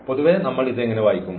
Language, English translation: Malayalam, In general, how do we read this